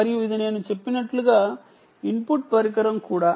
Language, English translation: Telugu, and this is also, as i mentioned, is also the input device